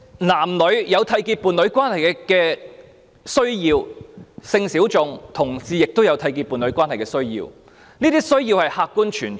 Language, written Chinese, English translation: Cantonese, 男女有締結伴侶關係的需要，性小眾人士和同志亦有締結伴侶關係的需要，這些需要是客觀存在的。, There is a need for heterosexual couples to enter into a union and so do sexual minorities and homosexual persons and such a need does exist in an objective manner